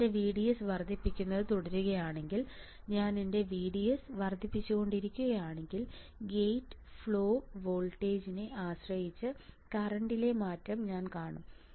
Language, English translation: Malayalam, If I keep on increasing my VDS, if I keep on increasing my VDS then what I will see I will see the change in the current depending on the gate flow voltage